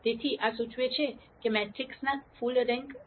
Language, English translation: Gujarati, So, this implies that the matrix is full rank